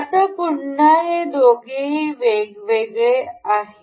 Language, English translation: Marathi, Now at again both of these are free